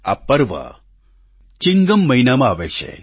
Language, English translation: Gujarati, This festival arrives in the month of Chingam